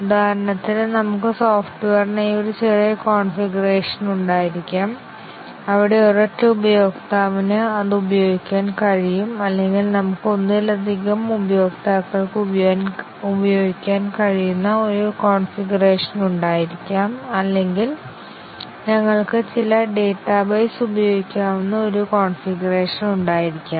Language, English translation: Malayalam, For example, we might have a minimal configuration for software, where a single user can use it or we can have a configuration where multiple users can use it or we can have a configuration where it can use certain database and so on